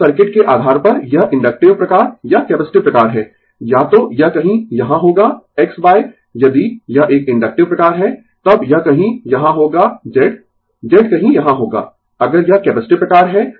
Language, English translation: Hindi, Now, depending on the circuit is inductive type or capacitive type this, either it will be somewhere here X by if it is a inductive type, then it will be somewhere here right Z Z will be somewhere here, if it is capacitive type